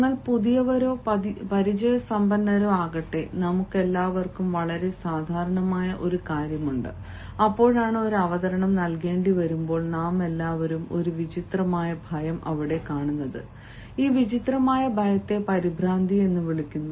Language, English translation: Malayalam, there is one thing very common with all of us, whether we are the new ones or the experienced ones, and that is when we have to deliver a presentation, all of us come across one strange fear, and this strange fear is called nervousness